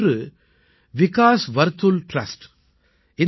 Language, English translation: Tamil, Of these one is Vikas Vartul Trust